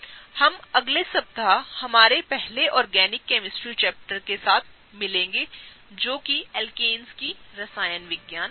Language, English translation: Hindi, We will meet next week with our very first organic chemistry chapter that is the Chemistry of Alkanes